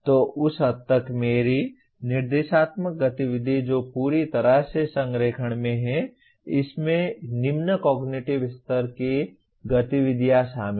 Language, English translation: Hindi, So to that extent my instructional activity which is in complete alignment automatically involves the lower cognitive level activities